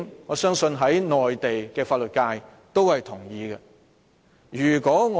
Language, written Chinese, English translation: Cantonese, 我相信內地的法律界也會認同這一點。, I believe even the legal sector in the Mainland will agree with this point